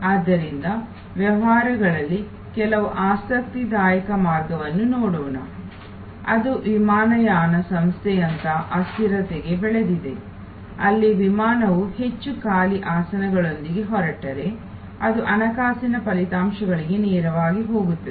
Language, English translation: Kannada, So, let us look at some interesting ways in businesses which are very grown to perishability like the airline, where if the flight takes off with more empty seats, it is a loss that goes straight into the financial results